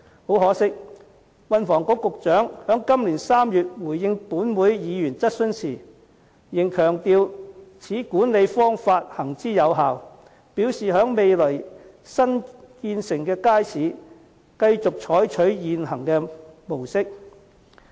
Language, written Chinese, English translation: Cantonese, 很可惜，運輸及房屋局局長在今年3月回應本會議員質詢時，仍強調此管理方法行之有效，表示在未來新落成的街市，將繼續採取現行模式。, Regrettably in the reply to a Members question in March this year the Secretary for Transport and Housing still stressed that such an approach of management was effective and the existing approach would be applied to the newly completed wet markets in the future